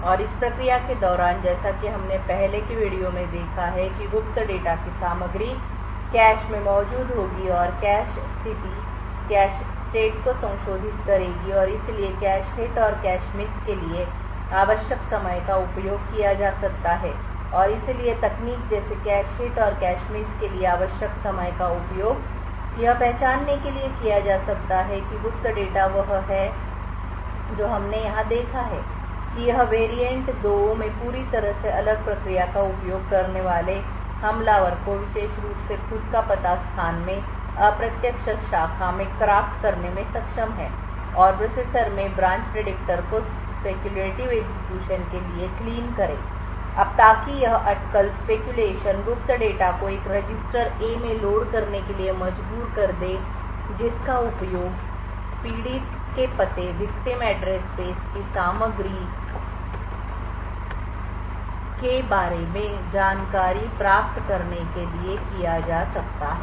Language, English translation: Hindi, And during this process as we've seen in the earlier videos the contents of the secret data would be present in the cache would modify the cache state and therefore techniques like the time required for a cache hit and cache miss can be used and therefore techniques like the time required for a cache hit and cache miss can be used to identify what the secret data is does what we have seen with here is that in this variant 2 the attacker using a completely isolated process is able to craft particular indirect branch in his own address space and clean the branch predictor in the processor to speculatively execute now since so this speculation would force secret data to be loaded into a register A which can then be use to retrieve information about the contents of the victims address space